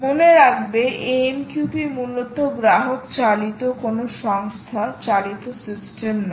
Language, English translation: Bengali, all right, remember that amqp is basically customer driven, not any company driven system